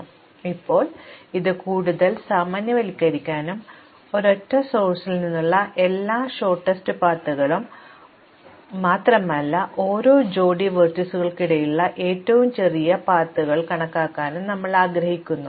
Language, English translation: Malayalam, So, now, we want to further generalize this and compute not just the shortest paths from a single source, but the shortest path between every pair of vertices